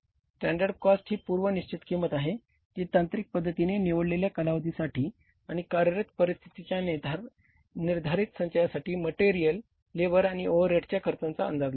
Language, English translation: Marathi, Is the pre determined cost based on a technical estimate for materials, labor and overheads for a selected period of time and for a prescribed set of the working conditions